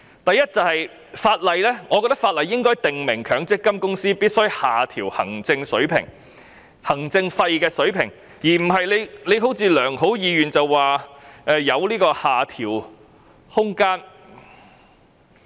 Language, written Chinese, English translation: Cantonese, 第一，我認為法例應該訂明強積金公司必須下調行政費用水平，而不是如政府所抱着的良好意願般，表示有下調的空間。, First in my opinion it should be stipulated by law that MPF companies are required to reduce the level of administration fees; the Government should not have the wishful thinking that there will be room for reduction of fees